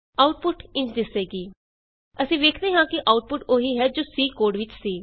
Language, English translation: Punjabi, The output is displayed: We see that the output is same as the one in C program